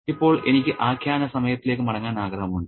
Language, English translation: Malayalam, Okay, now I want to get back to narrative time